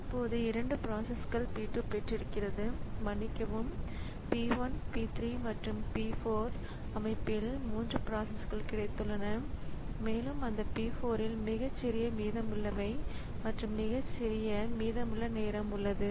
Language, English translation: Tamil, Now we have got 2 processes 3 processes in the system, p 2 sorry, p 1, p 3 and p 4 and out of that p 4 has the smallest remaining, smallest remaining time